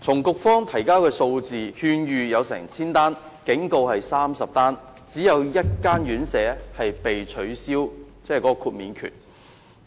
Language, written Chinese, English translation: Cantonese, 局方提交的數字顯示，局方曾發出1000多次勸諭及30次警告，只有1間院舍被撤銷豁免證明書。, The numbers provided by the Bureau indicate that over 1 000 advisory letters and 30 warning letters had been issued but only one RCHD had had its certificate of exemption revoked